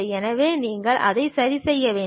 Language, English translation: Tamil, So, you have to really adjust it